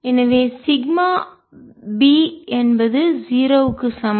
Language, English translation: Tamil, so we can write: b is also equal to zero